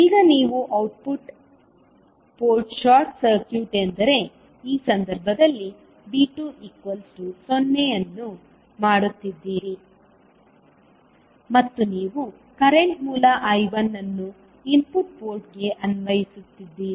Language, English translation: Kannada, Now, you are making output port short circuit means V2 is 0 in this case and you are applying the current source I1 to the input port